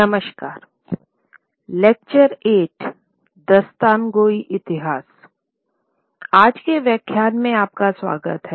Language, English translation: Hindi, Hello and welcome to today's lecture